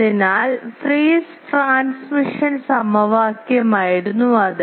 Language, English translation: Malayalam, So, this equation is called Friis transmission equation